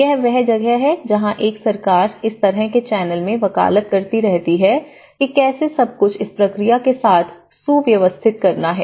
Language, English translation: Hindi, So, that is where a government has been advocating in this kind of channel how everything has to streamline with this process